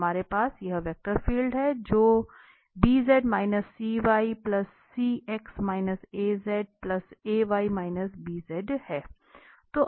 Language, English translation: Hindi, So you are going to have this v1